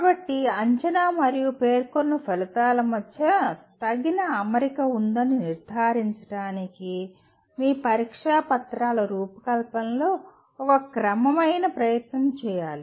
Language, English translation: Telugu, So a systematic effort should be made in designing your test papers to ensure there is adequate alignment between assessment and the stated outcomes